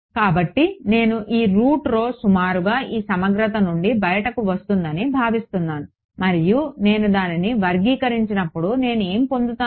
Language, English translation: Telugu, So, if I sort of you can imagine that this root rho is going to come out of this integral approximately and when I square it what will I get